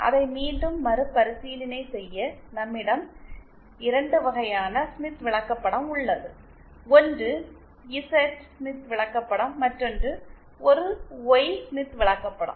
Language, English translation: Tamil, Just to review it once again, we have 2 types of Smith chart, one is the Z Smith chart, then there is a Y Smith chart and then when we combine both, we get what is called as ZY Smith chart